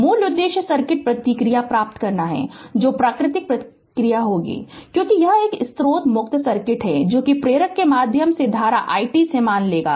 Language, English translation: Hindi, Basic objective is to obtain the circuit response which will be natural response, because this is a source free circuit which will assume to be the current i t through the inductor